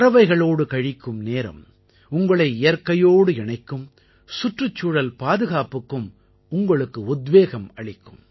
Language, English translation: Tamil, Time spent among birds will bond you closer to nature, it will also inspire you towards the environment